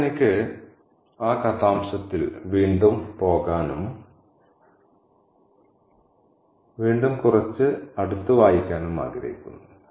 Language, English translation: Malayalam, Now I want to go back again to that extract and do a little bit of closed reading again